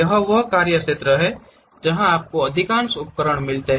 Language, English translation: Hindi, This is more like a workbench where you get most of the tools